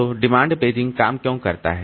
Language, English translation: Hindi, So, why does demand paging work